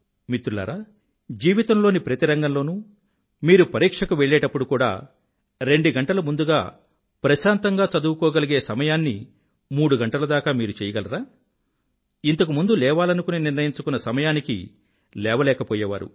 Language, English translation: Telugu, Friends, in every field of life and when taking exams, if you were able to study peacefully for two hours earlier, then are you now able to do so for three hours